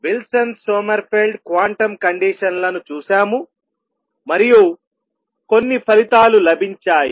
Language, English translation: Telugu, What we done so far as did the Wilson Sommerfeld quantum conditions, and got some result more importantly